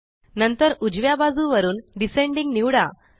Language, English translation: Marathi, Next, from the right side, select Descending